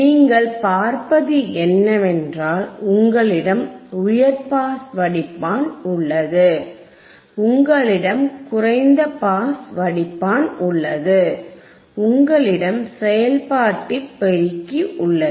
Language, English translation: Tamil, So now, wWhat you see is, you have a high pass filter, you have a low pass filter, you have the operational amplifier, you have the operational amplifier